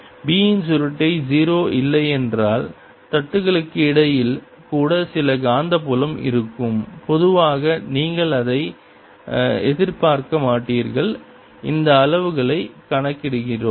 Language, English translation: Tamil, if curl of b is not zero, that means there will be some magnetic field even between the plates, although normally you would not expect it